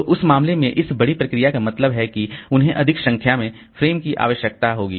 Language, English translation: Hindi, So that in that case of course this large process means that would, it will need more number of frames